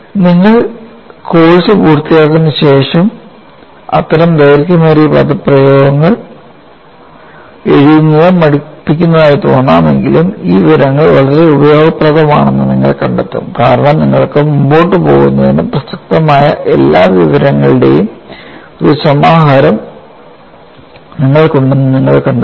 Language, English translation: Malayalam, See, though it appears tiring to write such long expressions after you complete the course, you will find that this information is quite useful, because you will find you have a compendium of all the relevant information for you to carry forward